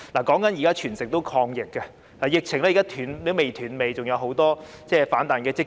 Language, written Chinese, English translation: Cantonese, 現時全城均在抗疫，疫情仍未"斷尾"，還有很多反彈的跡象。, Now the whole community is fighting the epidemic . The outbreak has not yet ended and worse still there are many signs of a rebound